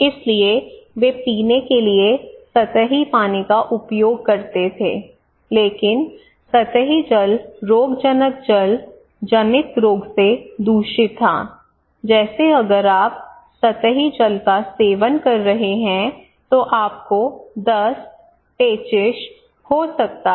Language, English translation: Hindi, So they used to have surface water for drinking, but surface water was contaminated by pathogens waterborne disease like if you are consuming surface water you can get diarrhoea, dysentery